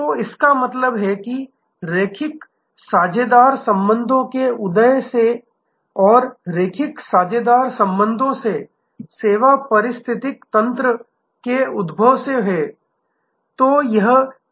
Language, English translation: Hindi, So, this is what we mean by emergence of linear partner relationships, from linear partner relationships to emergence of service ecosystem